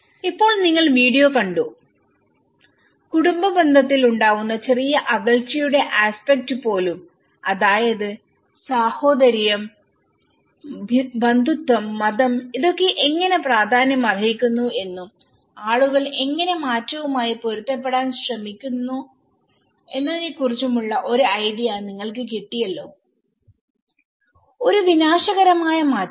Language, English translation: Malayalam, So now, you have seen the video and you now can get an idea of how even a small aspect of family distance you know brotherhood, kinship, religion how these things matter and how people started adapting to the change, a cataclysmic change